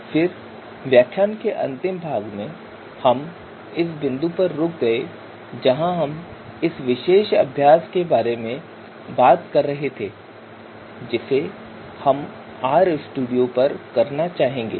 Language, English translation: Hindi, Then at the last part of the lecture we stopped at this point where we were you know talking about this particular example exercise that we would like to do in RStudio environment